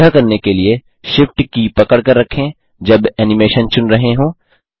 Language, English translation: Hindi, To do this, hold down the Shift key, while selecting the animation